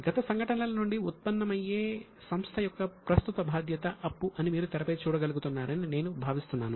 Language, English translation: Telugu, I think you are able to see it on the screen that it is a present obligation of the enterprise that arise from the past events